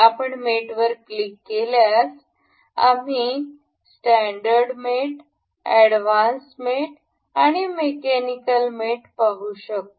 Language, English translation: Marathi, If you click on mate we can see standard mates advanced mates and mechanical mates